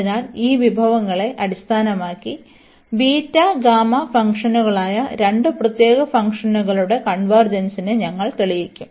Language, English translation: Malayalam, So, based on this these resources some on convergence we will prove the convergence of two special functions which are the beta and gamma functions